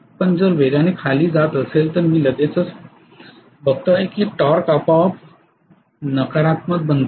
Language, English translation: Marathi, But if it is going to go down at high speed I am going to see right away that the torque automatically becomes negative